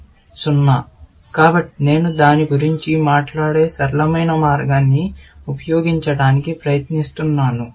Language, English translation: Telugu, So, you must have; I am just trying to use the simple way of talking about it, essentially